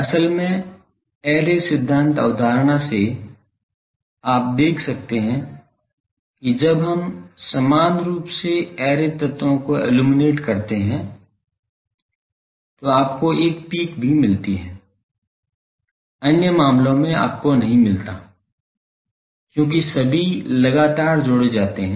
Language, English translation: Hindi, Actually, from array theory concept you can see that when we uniformly illuminate the array elements then also you get a peak; in other cases you do not get because all are consecutively added